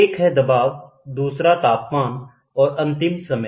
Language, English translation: Hindi, One is pressure, the other one is temperature, and the last one is time